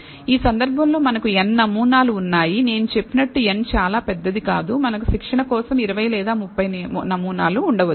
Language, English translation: Telugu, In this case, we have n samples as I said n is not very large may be 20 or 30 samples we have for training